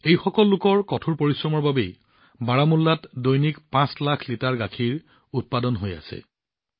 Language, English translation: Assamese, 5 lakh liters of milk is being produced daily in Baramulla